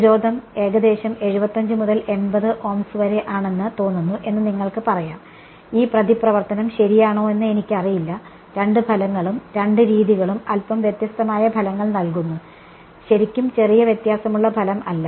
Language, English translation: Malayalam, You can say it seems that the real part I mean the resistance is around 75 to 80 Ohms, this reactance I do not know right it's sometime I mean both the results both the methods are giving slightly different results not slightly different results